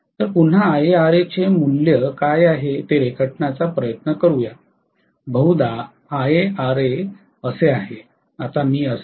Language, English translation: Marathi, So let us try to again draw what is the value of Ia Ra, probably Ia Ra is like this